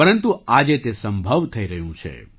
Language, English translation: Gujarati, But today this is becoming possible